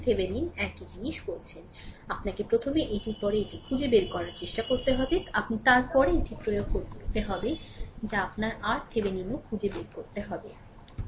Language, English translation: Bengali, So, that you have to first try find it out after that, you apply the after that you have to find out also that your R Thevenin